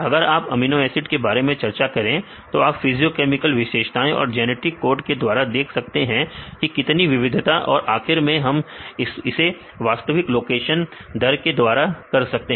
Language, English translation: Hindi, If you discuss about the case of amino acids you can do with physiochemical properties and the genetic code that how many variations then finally, we can do it with the actual rates the actual mutation rate